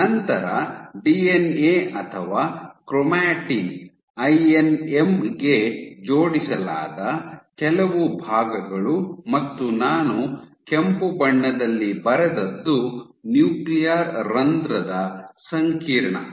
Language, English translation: Kannada, So, you have some portions, where the DNA or chromatin is attached to the INM and what I have drawn in red, these are nuclear pore complex ok